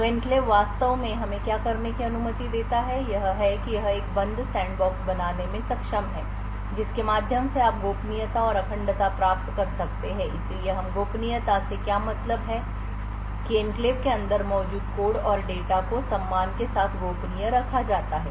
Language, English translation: Hindi, So what the enclave actually permits us to do is that it would it is able to create a closed sandbox through which you could get confidentiality and integrity so what we mean by confidentiality is that the code and data present inside the enclave is kept confidential with respect to anything or any code or anything else outside the enclave